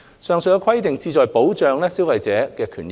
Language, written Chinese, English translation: Cantonese, 上述規定旨在保障消費者的權益。, The aforesaid stipulation seeks to protect consumer interests